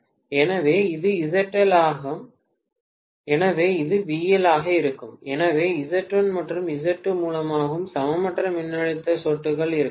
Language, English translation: Tamil, So this is ZL, right so this is going to be VL, right so maybe there are unequal voltage drops also through Z1 and Z2